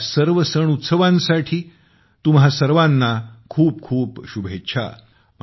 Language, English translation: Marathi, Many best wishes to all of you for all these festivals too